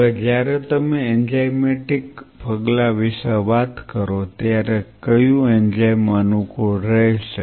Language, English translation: Gujarati, Now when you talk about enzymatic step what enzyme will suit because it is an adult tissue